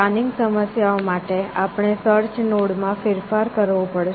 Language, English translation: Gujarati, For planning problems, we have to modify the search node